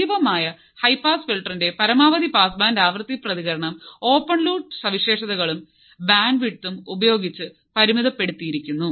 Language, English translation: Malayalam, The maximum pass band frequency response of the active high pass filter is limited by open loop characteristics and bandwidth